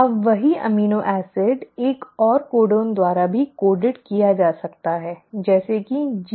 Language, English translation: Hindi, Now the same amino acid can also be coded by another codon, like GGC